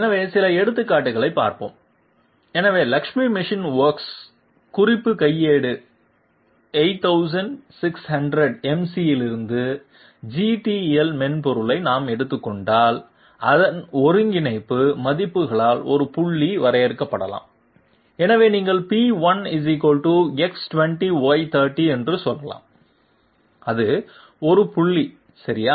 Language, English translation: Tamil, So let s look at some examples, so if we take up the GTL software from the reference manual 8600 MC of Lakshmi Machine Works, so there a point may be defined by its you know coordinate values like you can simply say P1 = X20Y30 that is a point okay and let me give you some examples here, say I want to define a point